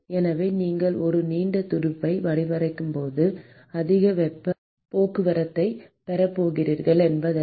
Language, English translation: Tamil, So, it is not that you design a long fin and you are going to have very high heat transport